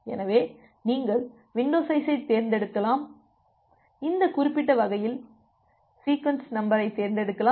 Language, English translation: Tamil, So, you can you can select the window size in you can select the sequence number in such a way so that this particular relation holds